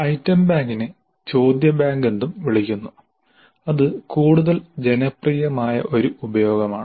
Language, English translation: Malayalam, Now as I mentioned item bank is also known as question bank that's a more popular usage actually